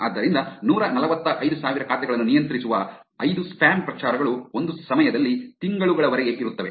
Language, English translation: Kannada, So, 5 spam campaigns controlling 145 thousand accounts combined are able to persist for months at a time